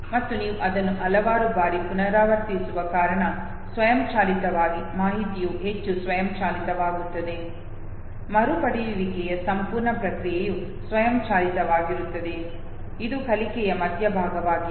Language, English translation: Kannada, And because you repeat it several times therefore automatically the information becomes much more automated, the whole process of recollection is automated, this is the middle of over learning